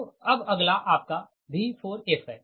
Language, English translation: Hindi, so next is your v four f